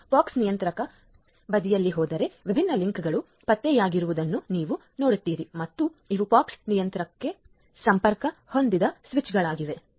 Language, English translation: Kannada, If I go up at the pox controller side you will see that links different links are detected and these are the switches which are connected to the POX controller